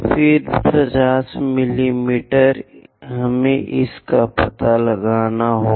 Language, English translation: Hindi, Then 50 mm, we have to locate it